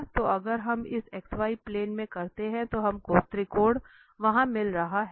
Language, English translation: Hindi, So if we do in this xy plane then we are getting this triangle there